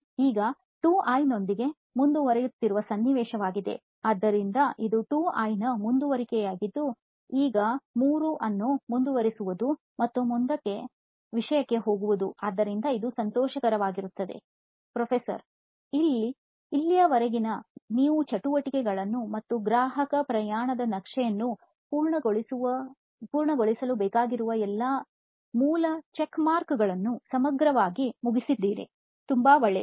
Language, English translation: Kannada, Now moving 3 would be a situation where we are going ahead with 2 so this is a continuation of 2 that is moving on to the next topic, so it would be a happy Ok, so far so good I again I like the fact that you comprehensively finished the activity, and all the basic checkmarks of what a customer journey map should have is complete